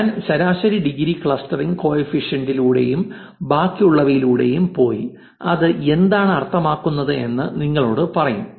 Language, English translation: Malayalam, I will go through average degree clustering coefficient and the rest and tell you what does this is mean